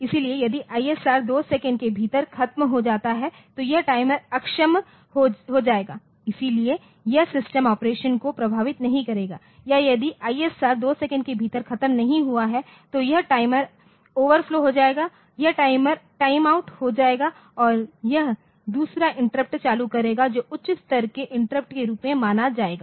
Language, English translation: Hindi, So, if the ISR is over within 2 second then this timer will get disabled so, it will not be going to affect the system operation or if this is ISR is not over within 2 second then this timer will overflow it will time out and it will generate another interrupt that will be treat a higher level interrupt